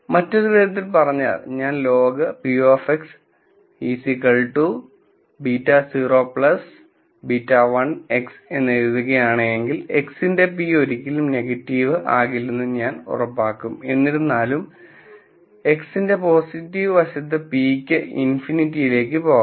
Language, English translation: Malayalam, In other words, if I write log of p of x is beta naught plus beta 1 X, I will ensure that p of x never becomes negative; however, on the positive side p of x can go to infinity